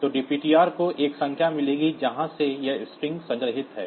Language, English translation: Hindi, So, dptr will get a number from where this string is stored